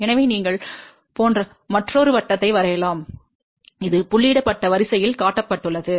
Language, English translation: Tamil, So, you draw another circle like this which has been shown in the dotted line